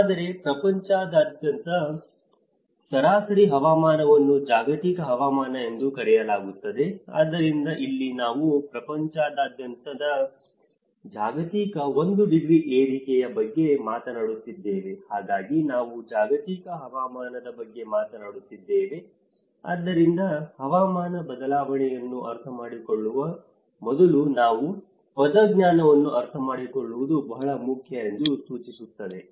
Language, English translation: Kannada, Whereas, the average climate around the world is called the global climate so, here we are talking about the one degree rise of the global around the world, so that is where we are talking about the global climate so, I think these terminologies are very important for you to understand before understanding the climate change